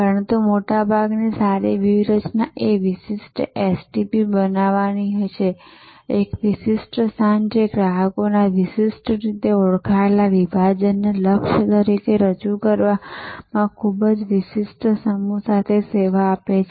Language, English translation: Gujarati, But, most often good strategy is to create a distinctive STP, a distinctive position serving a distinctly identified segment of customers with a very distinctive set of offerings as a target